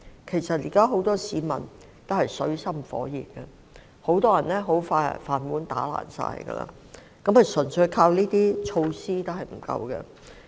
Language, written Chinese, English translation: Cantonese, 現時，很多市民均陷於水深火熱之中，很多人的"飯碗"快將打碎，單靠這些措施並不足夠。, Many people are now in dire straits and may soon lose their rice bowls so the implementation of these measures alone will not be sufficient